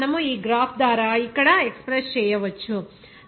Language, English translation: Telugu, So, we can express this by this graph here